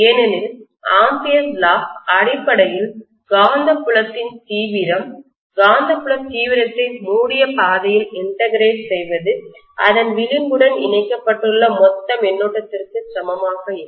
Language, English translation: Tamil, Because Ampere’s Law essentially says that the magnetic field intensity, the integral of magnetic field intensity along the closed path will be equal to the total current you know linked with that contour